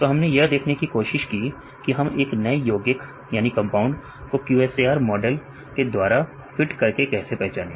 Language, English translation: Hindi, So, we try to see how we can identify new compound by fitting the QSAR models